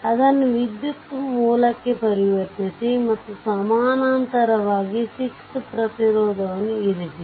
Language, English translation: Kannada, You convert it to a current source and in parallel you put 6 ohm resistance